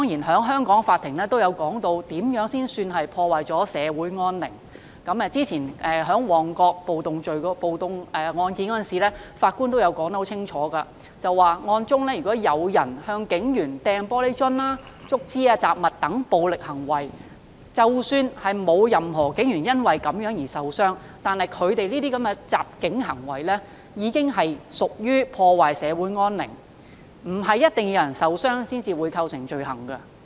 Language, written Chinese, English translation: Cantonese, 香港法庭亦曾解釋怎樣才算破壞社會安寧，正如2016年旺角暴動一案中，法官清楚指出，如有人向警員投擲玻璃樽、竹枝及雜物等暴力行為，即使沒有任何警員因而受傷，但這些襲警行為已屬破壞社會安寧，並非一定要有人受傷才構成罪行。, The Hong Kong Court has also explained the meaning of a breach of the peace . In the judgment of the 2016 Mong Kok riot the Judge clearly pointed out that assaulting police officers by violent acts such as hurling glass bottles bamboo poles and other objects at them are considered a breach of the peace even no police officer was injured as a result . Injury is not a must to constitute an offence